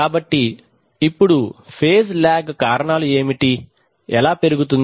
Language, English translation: Telugu, So now what are the causes, how can phase lag increase